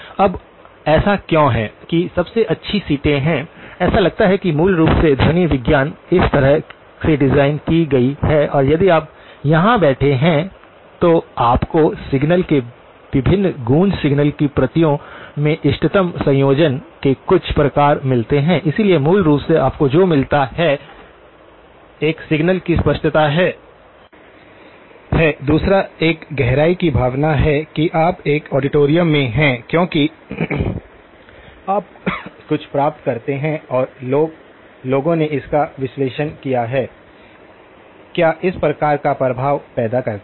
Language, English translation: Hindi, Now, why is it that the best seats are there, it sounds basically the acoustics is designed such that if you are sitting here, you get some sort of an optimal combination of the different echoes of the signal, copies of the signal, so basically what you get is; one is the clarity of the signal, second one is the feeling of depth that you are in an auditorium because the you do get certain and people have done analysis of this; what produces this type of effect